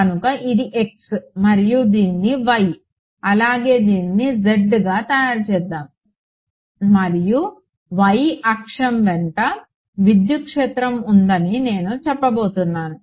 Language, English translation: Telugu, So, x and let us make this y and z and I am going to say that electric field is along the y axis right